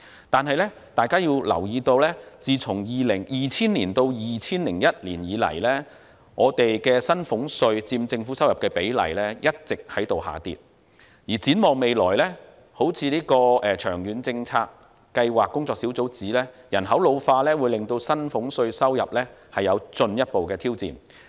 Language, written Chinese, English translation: Cantonese, 但是，大家要留意，自 2000-2001 年度以來，薪俸稅佔政府收入的比例一直下跌，而展望未來，正如長遠財政計劃工作小組指出，人口老化會對薪俸稅收入帶來進一步挑戰。, That said Members should note that revenue contribution from salaries tax has been on a persistent downtrend since 2000 - 2001 . Going forward population ageing will pose further challenge on this revenue source as raised by the Working Group